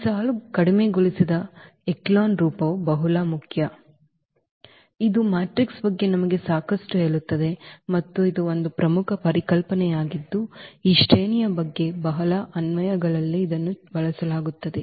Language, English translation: Kannada, So, this that is that is what this row reduced echelon form is very important, it tells us lot about the matrix and that is one important concept which is used at very applications about this rank